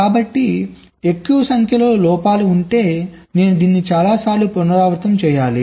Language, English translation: Telugu, so if there are more number of faults i have to repeat this multiple times